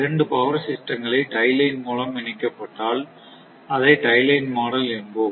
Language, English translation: Tamil, And if two power systems are connected by tie line, we call